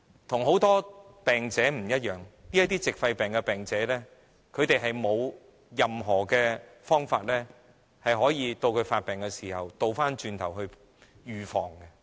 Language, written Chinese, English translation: Cantonese, 與很多病者不同，這些矽肺病的患者並沒有任何方法可以在發病時作預防。, Unlike many other patients these pneumoconiosis patients cannot take any precautions against worsening of the disease